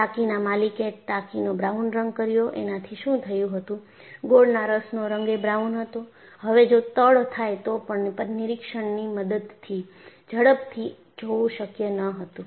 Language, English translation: Gujarati, What happened was the owner of the tank has painted it brown; molasses is also brown in color; so, even if there had been a leak, it was not possible to quickly see it through visual inspection